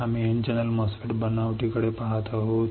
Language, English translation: Marathi, We are looking at N channel MOSFET fabrication